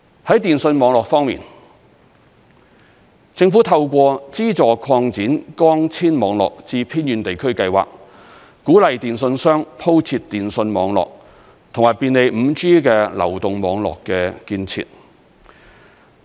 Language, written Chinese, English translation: Cantonese, 在電訊網絡方面，政府透過資助擴展光纖網絡至偏遠地區計劃，鼓勵電訊商鋪設電訊網絡，以及便利第五代流動網絡的建設。, When it comes to telecommunications networks the Government has put in place the Subsidy Scheme to Extend Fibre - based Networks to Villages in Remote Areas as a means to encourage telecommunications service providers to set up telecommunications networks and facilitate the construction of fifth - generation 5G mobile networks